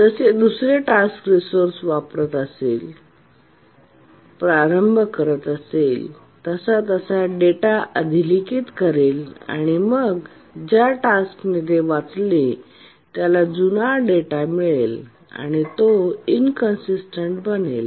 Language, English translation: Marathi, Then another task which started using the resource overwrote the data and then the task that had read it has got the old data